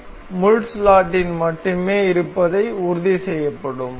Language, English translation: Tamil, Then it will ensure the pin to remain in the slot its only